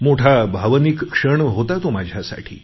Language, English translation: Marathi, It was a very emotional moment for me